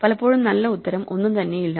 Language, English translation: Malayalam, So, often there is no one good answer